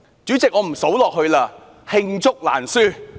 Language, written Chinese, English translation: Cantonese, 主席，我不再數下去了，因為罄竹難書。, President I will not go on to describe their countless wrongdoings